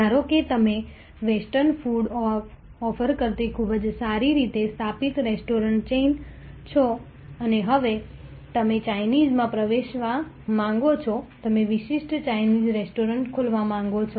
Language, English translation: Gujarati, Suppose you are a very well established restaurant chain offering western food and now, you want to get in to Chinese you want to open specialized Chinese restaurants